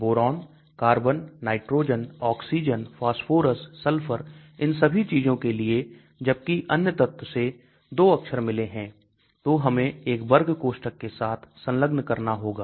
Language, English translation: Hindi, For Boron, carbon, nitrogen, oxygen, phosphorus, sulfur, all those things whereas other elements if it has got 2 characters we need to enclose with a square bracket